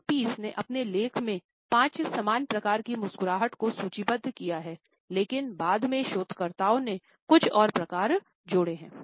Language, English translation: Hindi, Allan Pease, in his writings has listed 5 common types of a smiles, but later on researchers added some more types